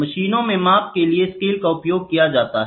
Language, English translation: Hindi, So, the scales are used for measurement in machines